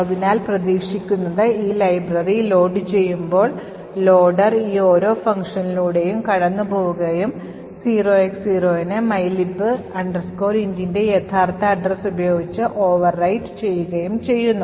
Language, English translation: Malayalam, So what is expected is that when this library gets loaded, the loader would pass through each of this functions and wherever there is 0X0 it would replace that with the actual address of mylib int